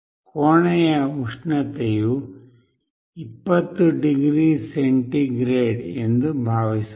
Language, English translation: Kannada, Suppose, the room temperature is 20 degree centigrade